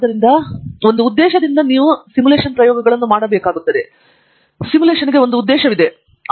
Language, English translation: Kannada, So, even experiments are done with a purpose, simulations are done with a purpose